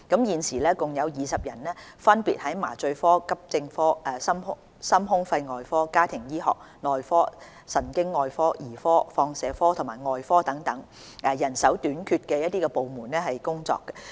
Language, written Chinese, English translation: Cantonese, 現時共有20人分別在麻醉科、急症科、心胸肺外科、家庭醫學、內科、神經外科、兒科、放射科及外科等人手短缺的部門工作。, Currently 20 non - locally trained doctors are serving in departments with manpower shortage including anaesthesia accident and emergency cardiothoracic surgery family medicine medicine neurosurgery paediatrics radiology and surgery